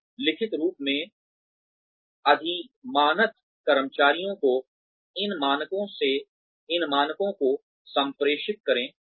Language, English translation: Hindi, Then, communicate these standards, to the employees in writing, preferably